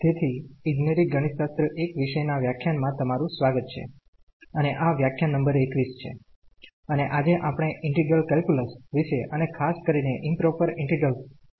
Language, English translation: Gujarati, So, welcome to the lectures on Engineering Mathematics – I and this is lecture number 21 and today, we will talk about the integral calculus and in particular Improper Integrals